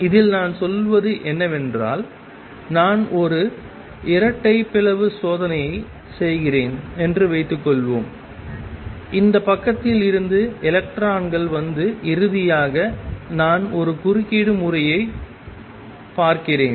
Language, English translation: Tamil, What I mean to say in this is suppose I am doing a double slit experiment, with electrons coming from this side and finally, I see an interference pattern